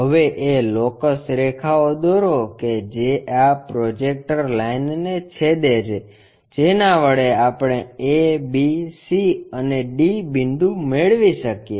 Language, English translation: Gujarati, Now, draw locus lines which are intersecting this projector line to locate that a, b, c and d points